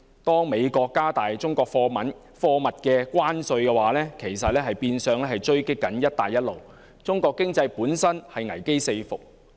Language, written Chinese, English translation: Cantonese, 當美國加重中國貨物的關稅，其實是變相狙擊"一帶一路"，中國的經濟本身已危機四伏。, By imposing heavy tariffs on goods from China the United States is de facto sabotaging the Belt and Road Initiative which foreshadows potential crises on multiple fronts in the economy of China